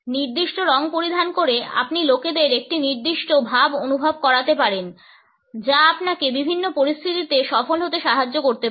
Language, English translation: Bengali, By wearing certain colors you can make people feel a certain way which could help you succeed in a variety of different situations